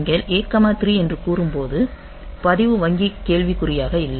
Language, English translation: Tamil, So, when you say A comma 3 then the register bank is not in question